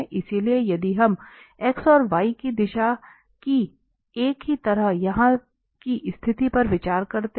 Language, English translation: Hindi, So, if we consider the situation here like one in the direction of x and y